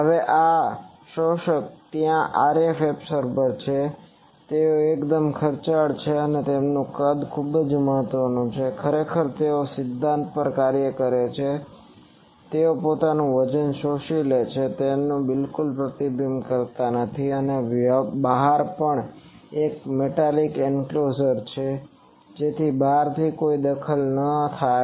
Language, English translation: Gujarati, Now this absorbers there RF absorbers, they are quite costly and their size is important actually they work on the principle that they absorb the weight they do not reflect at all and also outside there is a metallic enclosure, so that from outside no a thing comes